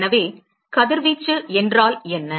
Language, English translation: Tamil, So, what is radiation